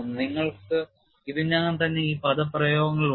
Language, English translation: Malayalam, We have all these expressions